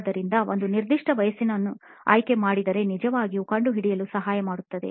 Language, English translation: Kannada, So, going with a very specific age really helps in figuring out